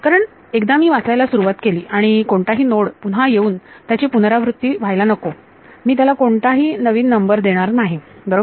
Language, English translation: Marathi, Because once I start reading and I will see if there is any node will be repeated, I will not give a new number to it right